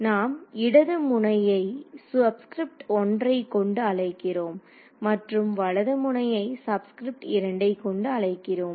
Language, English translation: Tamil, So, those the left node we are calling as with subscript 1 and the right node I am calling subscript 2